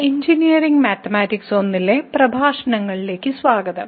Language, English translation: Malayalam, Welcome to the lectures on Engineering Mathematics I